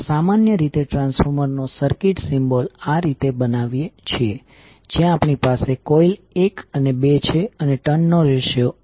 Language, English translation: Gujarati, The circuit symbol of the transformer we generally show like this where we have the coil one and two